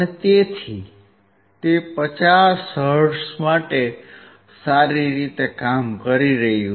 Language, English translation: Gujarati, So, it is working well for 50 hertz